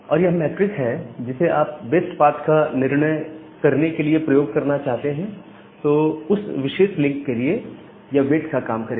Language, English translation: Hindi, And where this metric that you want to use to decide the best path, that will work as the weight of a particular link